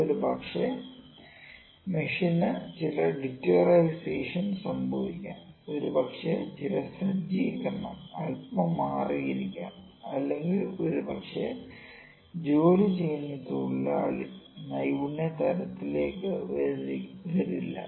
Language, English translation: Malayalam, Maybe some deterioration is happened to the machine, maybe some setup is a little changed or maybe the worker who is working is not the skills to the level